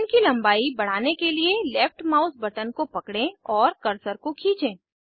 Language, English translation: Hindi, To increase the chain length, hold the left mouse button and drag the cursor